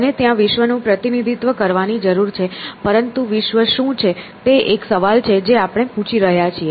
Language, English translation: Gujarati, So, it needs to represent the world out there, but what is the world out there is the question we are asking